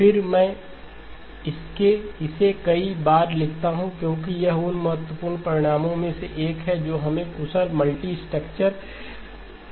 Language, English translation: Hindi, Again, I write this multiple times because this is one of the key results that help us in developing efficient multirate structures